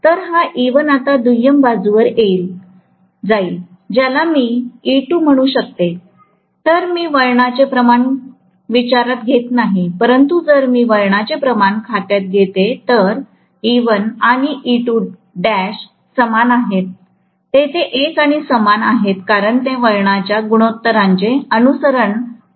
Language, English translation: Marathi, So, this E1 is going to be now passed onto the secondary side, which I may call that as E2, if I am not taking the turn’s ratio into account, but if I am taking the turn’s ratio into account, E1 and E2 dash are the same, there are one and the same because they are following the turn’s ratio